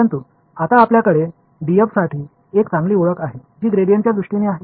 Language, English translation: Marathi, But now we also have a nice identity for d f which is in terms of the gradient right